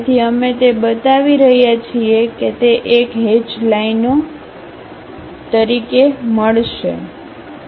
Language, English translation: Gujarati, So, we are showing that one as hatched lines